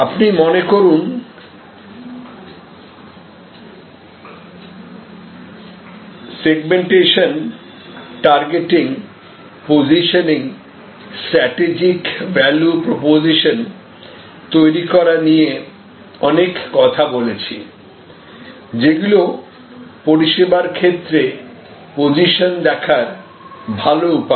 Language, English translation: Bengali, So, you remember we had lot of discussion on segmentation, targeting and positioning or creating the strategic value proposition, which is a better way to look at this positioning the service